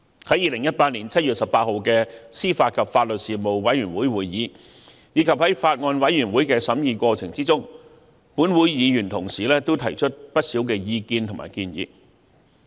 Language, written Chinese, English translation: Cantonese, 在2018年7月18日的司法及法律事務委員會會議上，以及在法案委員會的審議過程中，本會的議員同事也提出不少意見和建議。, At the meeting of the Panel on 18 July 2018 and during the scrutiny of the Bills Committee fellow colleagues of this Council had also shared their views and suggestions